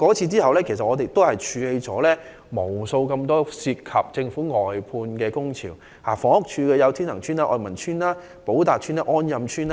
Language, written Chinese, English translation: Cantonese, 此後，我們處理了無數由政府外判制度引發的工潮，涉及房屋署的天衡邨、愛民邨、寶達邨及安蔭邨等。, Afterwards we have dealt with countless labour disputes arising from the Governments outsourcing system and they involve Tin Heng Estate Oi Man Estate Po Tat Estate and On Yam Estate managed by the Housing Department